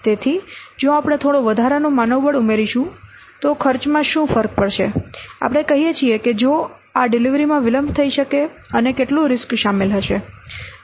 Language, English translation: Gujarati, So, if we will add some extra manpower, what will the cost required vis a vis if this delivery can be delayed and how much risk will be include